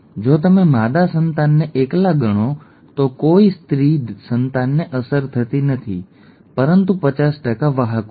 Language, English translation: Gujarati, If you consider the female offspring alone, no female offspring is affected but 50% are carriers which are these, okay